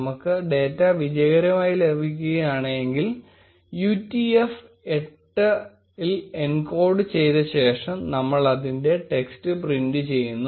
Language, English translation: Malayalam, In case we get the data successfully, we are going to print the text of it after encoding it into utf 8